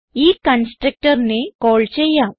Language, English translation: Malayalam, let us call this constructor